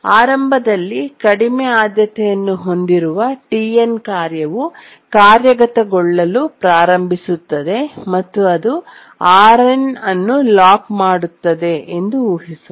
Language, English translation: Kannada, Now let's assume that initially the task TN which is the lowest priority starts executing and it locks RN